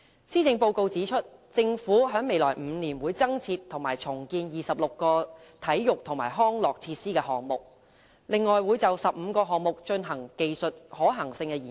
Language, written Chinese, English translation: Cantonese, 施政報告指出，政府在未來5年會增建和重建26個體育及康樂設施項目，另會就15個項目進行技術可行性研究。, It is pointed out in the Policy Address that in the next five years the Government will construct and redevelop 26 sports and recreation facilities and conduct technical feasibility studies for another 15 projects